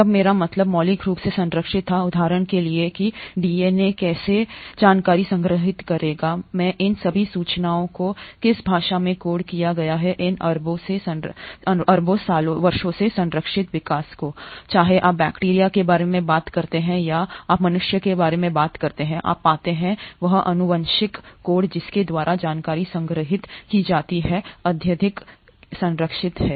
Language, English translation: Hindi, When I meant fundamentally conserved, for example how the DNA will store information, in what language all this information is coded, has remained conserved across these billion years of evolution, whether you talk about bacteria or you talk about human beings, you find that that genetic code by which the information is stored is highly conserved